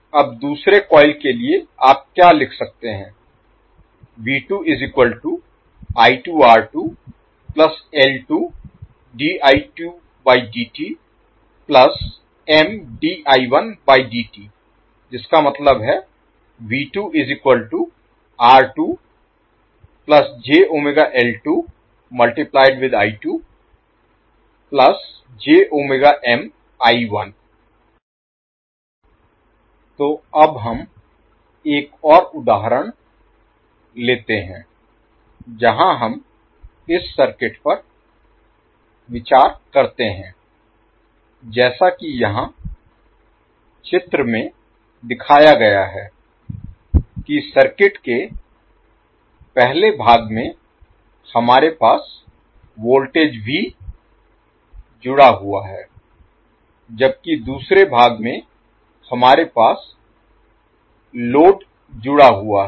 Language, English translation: Hindi, So now let us take another example where we consider this circuit as shown in the figure here in the first part of the circuit we have voltage V connected while in the second part we have load that is connected